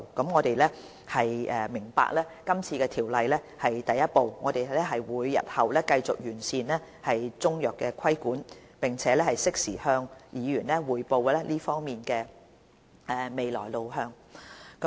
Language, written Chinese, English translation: Cantonese, 我們明白今次《條例草案》是第一步，我們日後會繼續完善規管中藥的工作，並適時向議員匯報這方面的未來路向。, We understand that this Bill is just the first step . We will continue to improve the regulation of Chinese medicine and report the future way forward in this regard in a timely manner